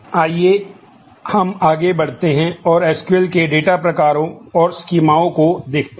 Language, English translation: Hindi, Let us move on and look at the SQL data types and schemas